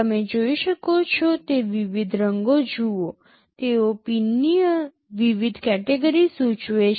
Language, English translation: Gujarati, See the various colors you can see, they indicate different categories of pins